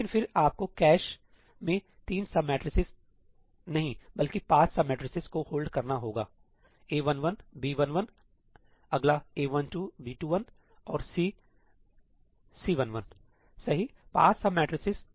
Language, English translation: Hindi, But then you have to hold, not 3 sub matrices, but 5 sub matrices in the cache: A11, B11, the next A12, B21 and C , right, 5 sub matrices